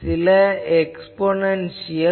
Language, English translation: Tamil, So, some sort of exponential